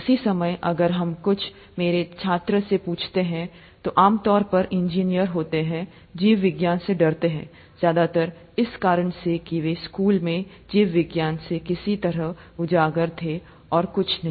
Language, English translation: Hindi, At the same time, if you ask my students, who are typically engineers, they have a fear for biology, mostly because of the way they have been exposed to biology in school, nothing else